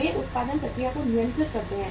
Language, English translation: Hindi, They control the production process